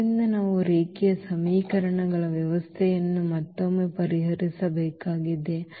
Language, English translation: Kannada, So, we need to solve again the system of linear equations